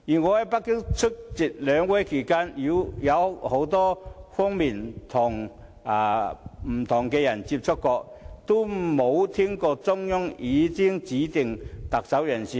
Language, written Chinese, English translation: Cantonese, 我在北京出席兩會期間，曾與很多不同人士接觸，但從未聽聞中央已有指定特首人選。, While I was in Beijing attending the NPC and CPPCC sessions I met with many different people but never heard anything about the Central Authorities having a handpicked candidate for the post of Chief Executive